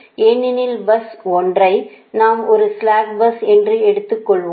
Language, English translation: Tamil, right now you note that bus one is a slack bus, right